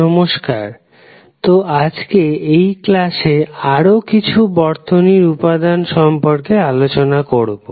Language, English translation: Bengali, Namaskar, so today we will discussed about the various circuit elements in this lecture